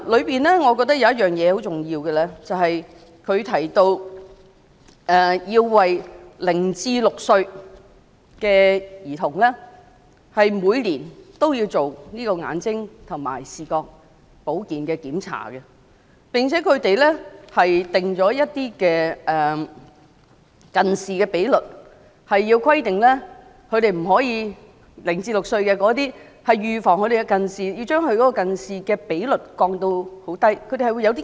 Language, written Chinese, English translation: Cantonese, 當中有一點是很重要的，便是要每年為0歲至6歲的兒童進行眼睛和視覺保健的檢查，並且制訂0歲至6歲的兒童的近視比率，以預防近視，並訂下指標，要將近視的比率降至很低的水平。, One crucial point was pointed out―to provide eye and vision health checks for children between the ages of zero and six each year . A myopia ratio for children between the ages of zero and six should be made in order to prevent myopia with set targets to reduce the myopia ratio to a very low level